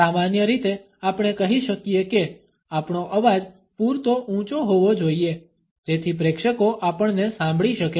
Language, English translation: Gujarati, In general, we can say that we should be loud enough so that the audience can hear us